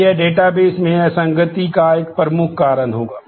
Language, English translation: Hindi, Now, this will be a major cause of inconsistency in the database